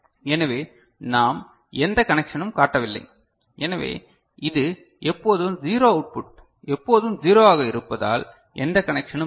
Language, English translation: Tamil, So we do not show any connection, so it is always 0 output is always 0 because no connection is there right